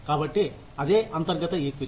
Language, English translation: Telugu, So, that is internal equity